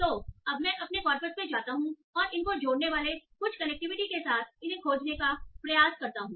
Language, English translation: Hindi, So now I go to my corpus and try to search these with some connectives added to these